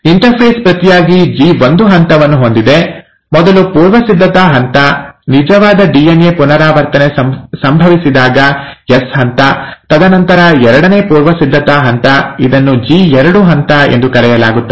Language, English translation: Kannada, Interphase inturn has the G1 phase, the first preparatory phase, the S phase, when the actual DNA replication happens, and then the second preparatory step, where it is called as the G2 phase